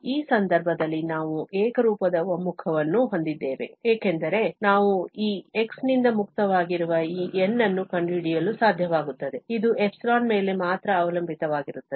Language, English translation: Kannada, So, in this case, we have the uniform convergence because we are able to find this N which is free from x, it depends only on epsilon